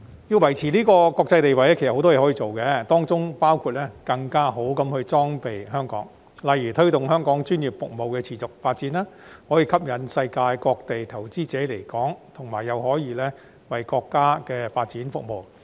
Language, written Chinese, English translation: Cantonese, 要維持國際地位，香港其實有很多工作可以做，當中包括更好地裝備香港，例如推動香港專業服務持續發展，此舉可吸引世界各地投資者來港，同時又可為國家發展服務。, In order to maintain its international status Hong Kong needs to do a lot of things including better equipping the city by for example promoting the continued development of our professional services which may attract investors from all over the world to invest in Hong Kong and serve the development needs of the country at the same time